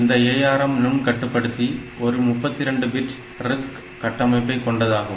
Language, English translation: Tamil, this ARM microcontroller is a 32 bit RISC architecture